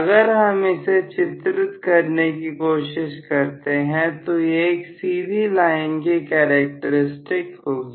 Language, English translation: Hindi, So, if I try to plot, this will be straight line characteristics